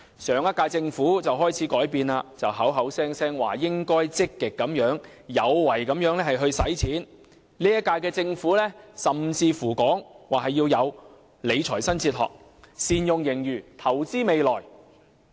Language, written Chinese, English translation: Cantonese, 上屆政府開始改變，動輒說應該積極有為的用錢；本屆政府甚至說要有理財新哲學，善用盈餘，投資未來。, The last - term Government started to change by claiming time and again that money should be spent proactively; the current - term Government even claims that a new fiscal philosophy should be adopted to make good use of the surplus for investing for the future